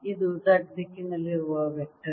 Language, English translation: Kannada, this is a vector in z direction